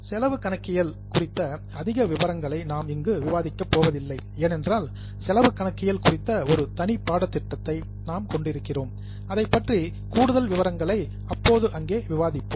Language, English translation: Tamil, We will not go into too much details of cost accounting because we are having a separate course on cost accounting where we'll discuss further details about it